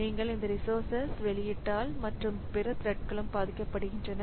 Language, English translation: Tamil, So if you release these resources and other threads will also suffer